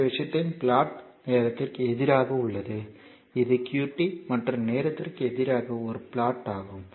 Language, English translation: Tamil, So, this is the plot of your this thing it versus time and this is your qt versus time this is the plot